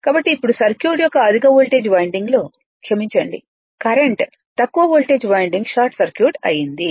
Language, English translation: Telugu, So, now the circuit in the high voltage winding to sorry current in the high voltage winding while low voltage winding is short circuited